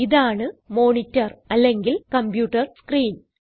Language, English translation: Malayalam, This is a monitor or the computer screen, as we call it